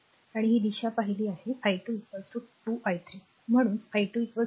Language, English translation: Marathi, And we have seen we have got this direction i 2 is equal to 2 i 3 so, i 2 is equal to 2 ampere